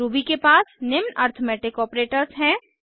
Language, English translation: Hindi, Ruby has following arithmetic operators